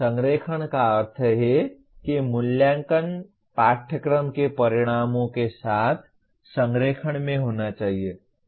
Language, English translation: Hindi, Alignment means assessment should be in alignment with the course outcomes